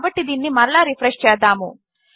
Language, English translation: Telugu, So lets refresh that again